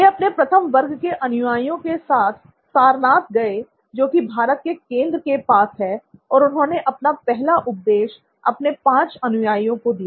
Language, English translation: Hindi, He went to his first set of students in Sarnath which is close to the heart of India and there he gave his discourse, first ever discourse to 5 of his students